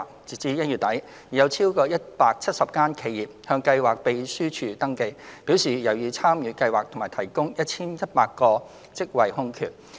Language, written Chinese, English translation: Cantonese, 截至1月底，已有超過170間企業向計劃秘書處登記，表示有意參與計劃及提供 1,100 個職位空缺。, As at end - January more than 170 enterprises have registered with the schemes secretariat to express their interest in joining the scheme offering a total of 1 100 job vacancies